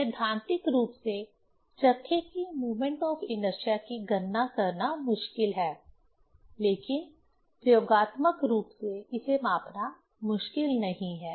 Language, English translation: Hindi, Theoretically it is difficult to calculate these moment of inertia of flywheel, but experimentally it is not difficult to measure